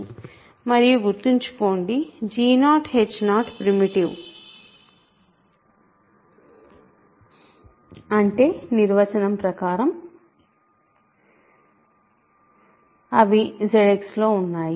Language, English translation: Telugu, And remember, g 0 h 0 are primitive that means, by definition they are in Z X